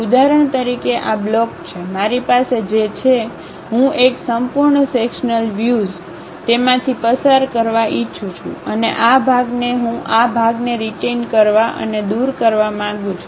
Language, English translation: Gujarati, For example, this is the blocks, block what I have; I would like to have a full sectional view passing through that, and this part I would like to retain and remove this part